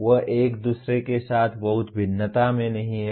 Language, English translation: Hindi, They are not at great variance with each other